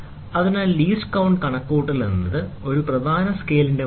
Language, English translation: Malayalam, So, calculation of the least count: value of one main scale division